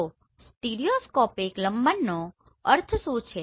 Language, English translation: Gujarati, So what do we mean by stereoscopic parallax